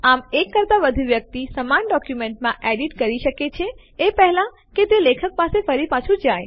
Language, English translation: Gujarati, Thus more than one person can edit the same document before it goes back to the author